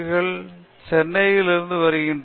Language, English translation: Tamil, I am from Chennai